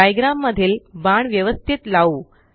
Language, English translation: Marathi, Now lets arrange the arrows in the diagram